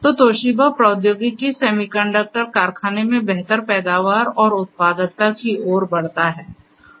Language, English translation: Hindi, So, the Toshiba technology leads to improved yield and productivity in the semiconductor factory